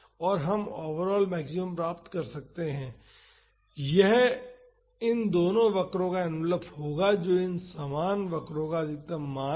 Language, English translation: Hindi, And we can find the overall maximum so, that would be the envelope of both these curves that is the maximum values of both these curves